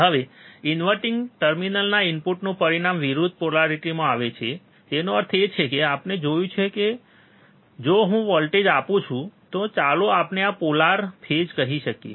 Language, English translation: Gujarati, Now, the input at the inverting terminals result in opposite polarity; that means, that we have seen that if I apply a voltage, right which let us say this polar this phase